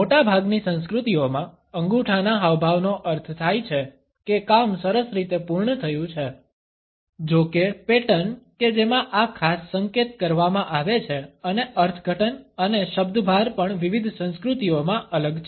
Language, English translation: Gujarati, Thumbs of gesture in most of the cultures means; that the job has been completed nicely; however, the pattern in which this particular gesture is taken up and the interpretations and emphases are also different in different cultures